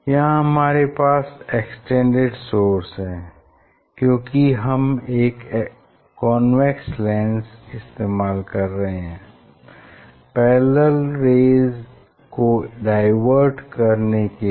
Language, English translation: Hindi, you have extended source as we are using lens, convex lens to diverge the parallel rays, so this a extended source